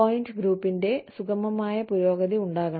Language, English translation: Malayalam, There should be a smooth progression of point grouping